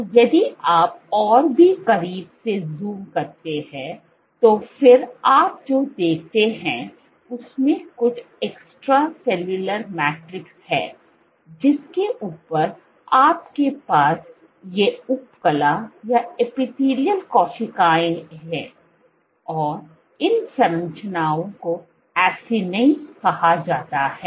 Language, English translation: Hindi, So, if you zoom in even closer, so then what you see is there some extracellular matrix on top of which you have these epithelial cells and these structures are called Acini